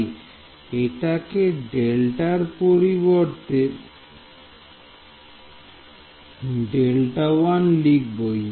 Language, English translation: Bengali, So, instead of delta, I will write delta 1 the minor details